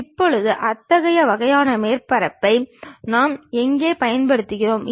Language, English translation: Tamil, Now, where do we use such kind of surfaces